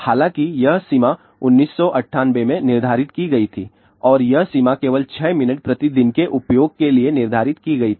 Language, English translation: Hindi, However, this limit was set in 1998 and this limit was set for only 6 minutes per day use